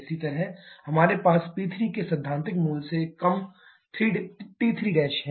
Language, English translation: Hindi, Similarly here we shall be having T3 Prime lower than theoretical value of P3